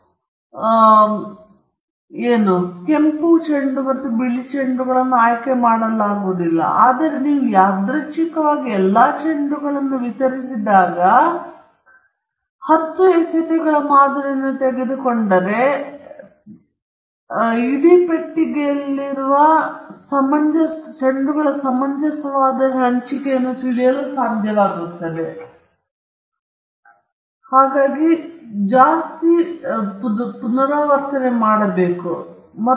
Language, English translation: Kannada, That means the red balls and the white balls were not given a chance of being picked, but if you randomly distribute all the balls, and then you start picking from the box, if you take a sample of 10 balls, then you will get a reasonable distribution of the balls as they are in the entire box